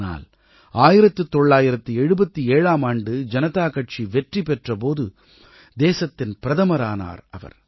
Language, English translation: Tamil, But when the Janata Party won the general elections in 1977, he became the Prime Minister of the country